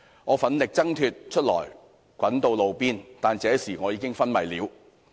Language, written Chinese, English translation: Cantonese, 我奮力掙脫出來滾到路邊，但這時我已經昏迷了。, I fought to struggle free and roll to the side of the road but at this point I had already passed out